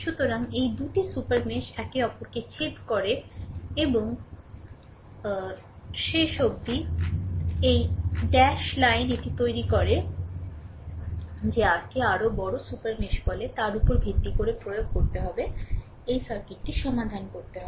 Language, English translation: Bengali, So, these 2 super mesh your intersect each other and finally, dash line this creating a your what you call larger super mesh right based on that we have to apply right we have to solve this circuit